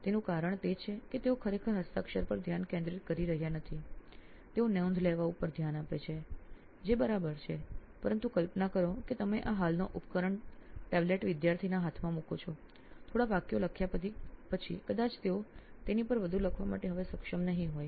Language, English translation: Gujarati, so the reason is they are not actually focusing on handwriting, they are focusing on taking notes it is fine, but imagine you place this device the tablet the existing products in a hand of a student, after writing a few sentence they will probably not able to write anymore on that